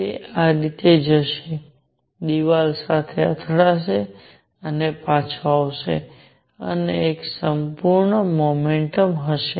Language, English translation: Gujarati, It will go this way, hit the wall and come back and that will be one complete motion